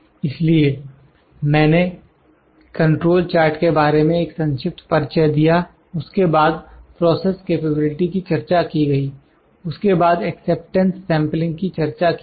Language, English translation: Hindi, So, I just had a brief introduction about the control charts, then process capability is discussed, then acceptance sampling is discussed